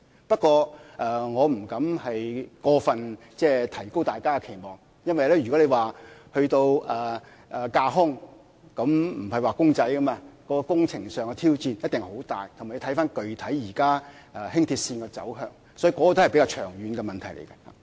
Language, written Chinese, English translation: Cantonese, 不過，我不敢過分提高大家的期望，因為如果談到興建架空軌道，不是"畫公仔"般輕易，工程上的挑戰一定很大，亦要視乎現時輕鐵具體的走向，所以這個仍然是比較長遠的問題。, However I do not dare raising peoples expectations too much as building elevated tracks is not as easy as eating a pie . The challenges in engineering must be immense it also depends on the specific alignment of LR at present so it is still a topic for study in the longer run